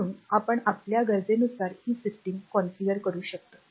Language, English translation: Marathi, So, we can have we can we can configure this system as per our requirement